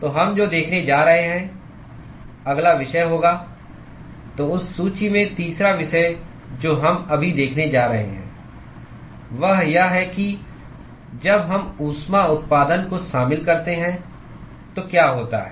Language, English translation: Hindi, So, what we are going to see the next topic is going to be the so, the third topic in that list which is what we are going to see now is, what happens when we include heat generation